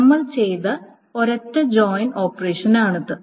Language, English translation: Malayalam, It is a single joint operation that we have found